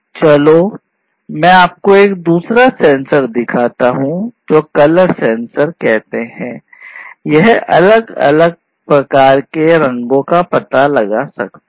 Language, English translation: Hindi, This is basically the color sensor; it can detect colors, different types of colors